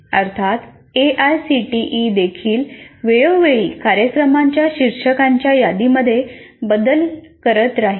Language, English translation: Marathi, Of course, AICT also from time to time will keep modifying the list of program titles